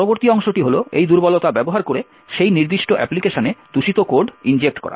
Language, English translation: Bengali, The next part is to use this vulnerability to inject malicious code into that particular application